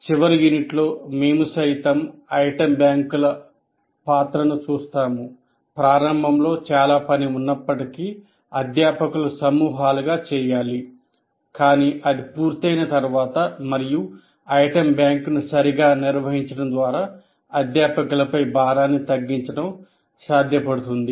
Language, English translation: Telugu, So in the last unit we looked at the role of item banks, how they can, though initially a lot of work this needs to be done by groups of faculty, but once it is done and by managing the item bank properly, it is possible to reduce the load on the faculty while maintaining good quality of assessment